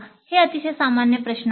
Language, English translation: Marathi, These are very general questions